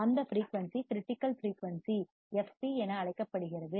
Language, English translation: Tamil, That frequency is called critical frequency fc